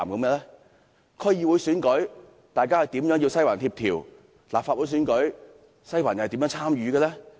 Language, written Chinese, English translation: Cantonese, 在區議會選舉中，"西環"如何協調；在立法會選舉中，"西環"又如何參與？, In what way has Western District played a coordinating role in the elections of the District Councils? . In what way has Western District participated in the elections of the Legislative Council?